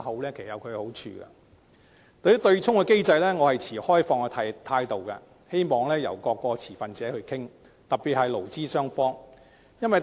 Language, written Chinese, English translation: Cantonese, 至於對沖機制，我是抱持開放態度的，希望各個持份者可以一起討論，特別是勞資雙方。, As for the offsetting mechanism I am open about it and I hope all stakeholders particularly employees and employers can engage in discussion